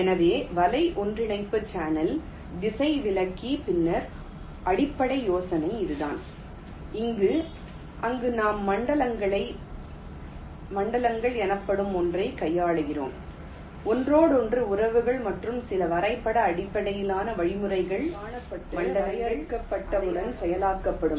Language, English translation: Tamil, ok, so this is the basis idea behind net merge channel router, where we shall see that we shall be handling something called zones, the relationships upon each other, and also some graph based means, processing once the zones are indentified and defined